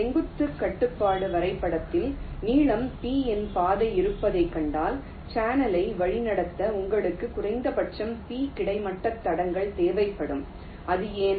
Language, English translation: Tamil, in a vertical constraint graph, if you see that there is a path of length p, then you will need at least p horizontal tracks to route the channel